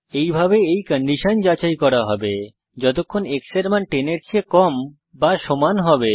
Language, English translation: Bengali, The condition of the while loop is x is less than or equal to 10